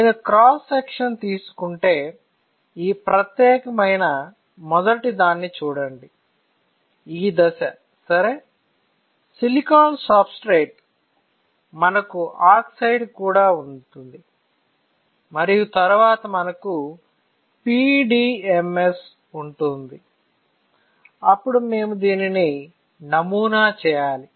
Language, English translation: Telugu, So, if I take cross section, you see this particular first one, this step ok; silicon substrate, we can also have oxide and then we have PDMS, then we have to pattern this